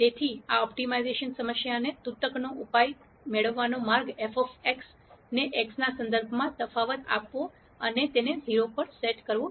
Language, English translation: Gujarati, So, the way to get the solution to deck this optimization problem, is to take f of x differentiate it with respect to x and set it to 0